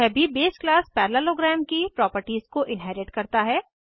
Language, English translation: Hindi, This also inherits the properties of the base class parallelogram